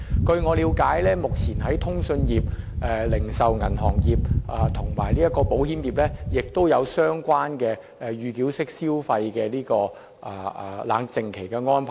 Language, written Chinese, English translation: Cantonese, 據我了解，目前在通訊業、零售銀行業和保險業亦有安排，設置預繳式消費的冷靜期。, I understand that a cooling - off period for pre - payment mode of consumption is now implemented in communication retail banking and insurance industries